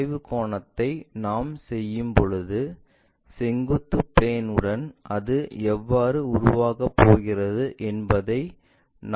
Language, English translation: Tamil, When we do that the inclination angle we can sense the longer edge how it is going to make with vertical plane